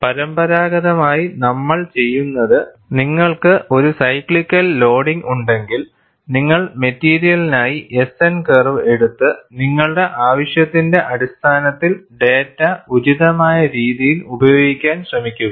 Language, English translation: Malayalam, But conventionally, what you do, if we have a cyclical loading, you just take the S N curve for the material and try to use the data appropriately, on that basis of your need